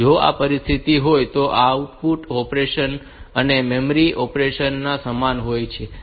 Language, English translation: Gujarati, If that is the situation then these out operation and memory read operation they are similar